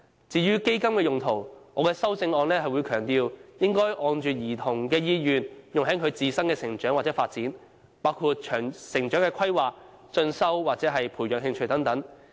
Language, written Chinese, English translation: Cantonese, 至於"嬰兒基金"的用途，我的修正案強調，應按照兒童的意願，用在其自身的成長或發展，包括成長規劃、進修或培養興趣等。, As for the usage of the baby fund I emphasize in my amendment that the fund should be used according to the childrens wish for their personal growth and development including growth planning further studies and cultivation of hobbies